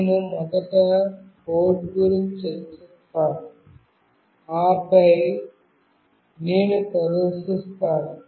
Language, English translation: Telugu, I will be discussing the code first, and then I will demonstrate